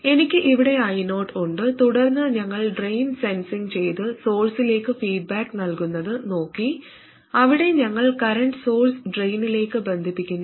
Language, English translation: Malayalam, Then we looked at sensing at the drain and feeding back to the source, where we connect the current source to the drain